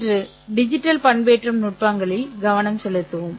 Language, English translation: Tamil, We will concentrate today on digital modulation techniques